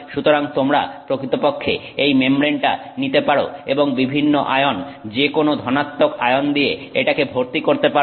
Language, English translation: Bengali, So, you can actually take this membrane and fill it with different ions, okay, and any positively charged ion, so typically any metallic ion you can fill inside this